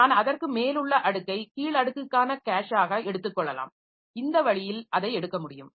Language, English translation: Tamil, So, I can take the layer above it as a cache for the lower layer